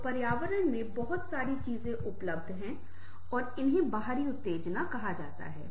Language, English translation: Hindi, so there are lots of things available in the environment and these are called external stimuli